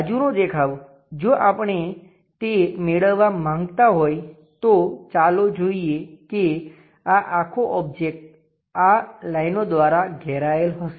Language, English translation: Gujarati, Side view; if we are going to construct that let us see this entire object will be bounded by these lines